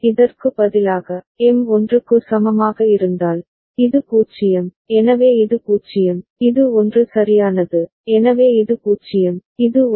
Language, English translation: Tamil, Instead of this, if M is equal to 1, this is 0, so this is 0, and this is 1 right, so this is 0, and this is 1